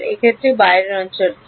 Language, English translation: Bengali, In this case what is the outside region